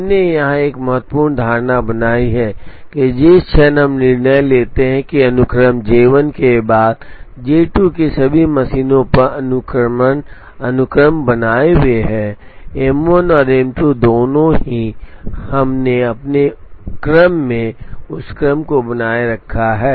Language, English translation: Hindi, We have made an important assumption here that, the moment we decide that the sequences J 1 followed by J 2 that sequences maintained on all the machines, both M 1 and M 2 we have maintained that sequence in our computation